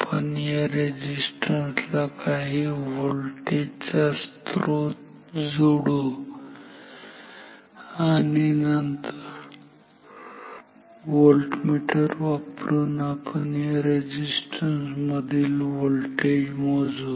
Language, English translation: Marathi, We will connect some voltage source across this resistance and then we will measure this voltage across this resistance with the voltmeter